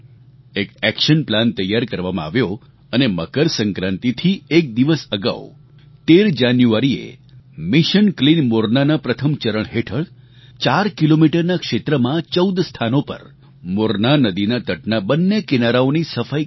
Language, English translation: Gujarati, An action plan was chalked out and on January 13 th a day before MakarSankranti, in the first phase of Mission Clean Morna sanitation of the two sides of the bank of the Morna river at fourteen places spread over an area of four kilometers, was carried out